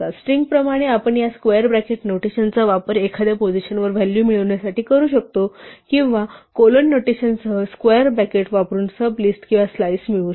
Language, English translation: Marathi, As with strings, we can use this square bracket notation to obtain the value at a position or we can use the square bracket with colon notation to get a sub list or a slice